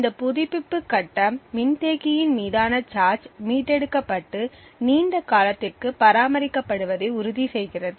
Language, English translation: Tamil, So, this refreshing phase ensures that the charge on the capacitance is restored and maintained for a longer period